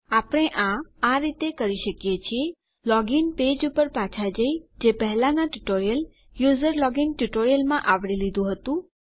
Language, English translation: Gujarati, The way we do this is, we go back to our login page, which we covered in the previous tutorial the userlogin tutorial